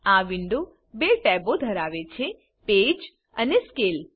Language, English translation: Gujarati, This window contains two tabs Page and Scale